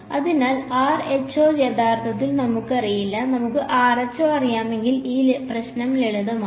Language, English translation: Malayalam, So, rho actually we do not know, if we knew rho then this problem was simple